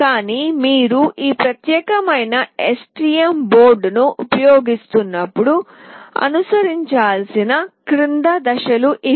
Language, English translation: Telugu, But these are the following steps that need to be followed when you are using this particular STM board